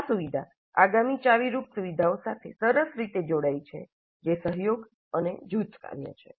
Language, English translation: Gujarati, This feature ties in neatly with the next key feature which is collaboration and group work